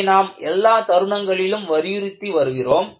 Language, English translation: Tamil, So, this is what, we have been emphasizing all along